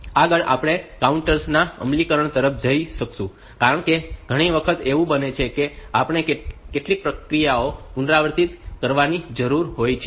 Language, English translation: Gujarati, Next will go towards the implementation of counters, because many a times what happens is that we need to have some actions done repetitively